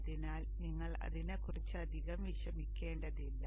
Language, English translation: Malayalam, Oh you need not bother much about that